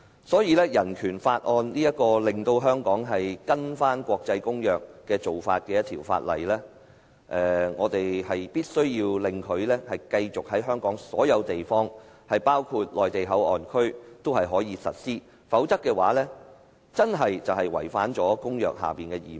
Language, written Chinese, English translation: Cantonese, 《香港人權法案條例》是令香港遵行國際公約的法例，我們必須讓它在香港所有地方，包括內地口岸區也可以實施，否則便會違反公約下的義務。, The Hong Kong Bill of Rights Ordinance BORO is a law enforcing Hong Kongs compliance with the international treaties . We must facilitate its implementation everywhere in Hong Kong including MPA . Otherwise we will fail our obligations under such treaties